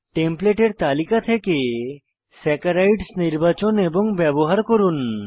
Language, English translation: Bengali, As an assignment Select and use Saccharides from Templates list